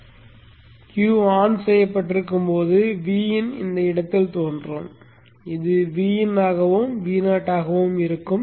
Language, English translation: Tamil, V in is appearing at this point this would be V in and this would be V0